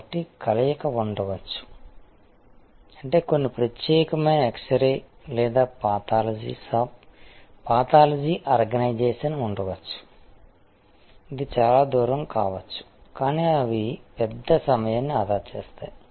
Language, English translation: Telugu, So, there can be a combination that mean some there can be a very exclusive x ray or a pathology shop, pathology organization, which may be even it a distance, but they save time big